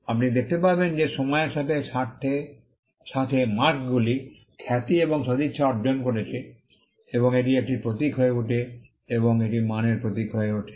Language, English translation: Bengali, You will see that, marks over a period of time gained reputation and goodwill and it become a symbol and it became a symbol of quality